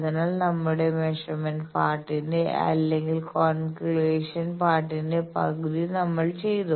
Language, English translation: Malayalam, So, we have done half of our measurement part or calculation part